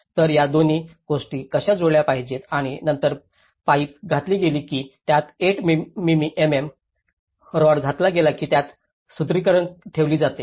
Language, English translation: Marathi, So, how these two things has to match and then the reinforcement is kept whether it is a pipe inserted or 8 mm rod has been inserted into it